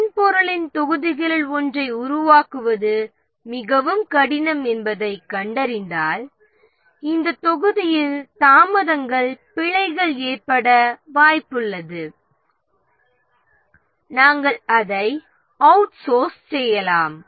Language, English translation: Tamil, For example, if we find that one of the modules of the software is very difficult to develop and we are likely to have delay bugs in this module, we may outsource it